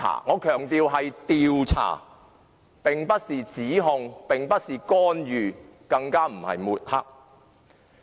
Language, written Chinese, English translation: Cantonese, 我強調，這是調查，不是指控，也不是干預，更不是抹黑。, I must emphasize that an investigation is not an accusation not intervention and not tarnishing